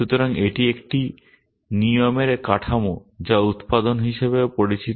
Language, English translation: Bengali, So, this is the structure of a rule also known as a production